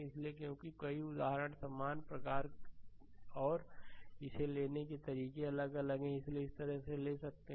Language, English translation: Hindi, So, ah because so, many examples similar type and different how to take it have been explained so, this way you can take it